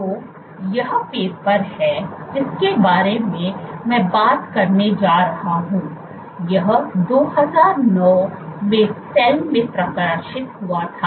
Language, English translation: Hindi, So, this is the paper that I am going to talk about, this was published in Cell in 2009